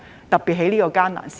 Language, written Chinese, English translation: Cantonese, 特別是在這個艱難的時刻。, Particularly at this difficult period